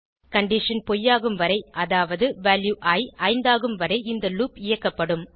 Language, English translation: Tamil, The loop will get executed till the condition becomes false that is when variable i becomes 5